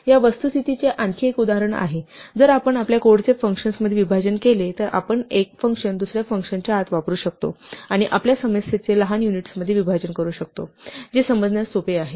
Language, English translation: Marathi, This is another illustration of the fact that if we break up our code into functions then we can use functions one inside the other, and break up our problem into smaller units which are easier to digest and to understand